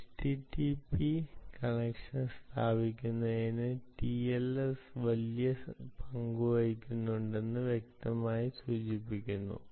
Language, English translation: Malayalam, clearly indicating the tls is playing a big role in establishing the http connection